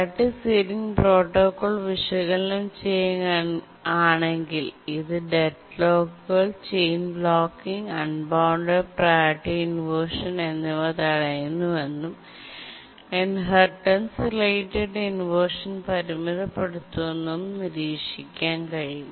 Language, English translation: Malayalam, If we analyze the priority sealing protocol, we will see that it prevents deadlocks, prevents chain blocking, prevents unbounded priority inversion, and also limits the inheritance related inversion